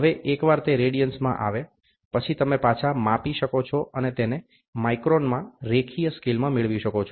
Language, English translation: Gujarati, Now, once it is in radians, you can play back and get it into a linear scale in microns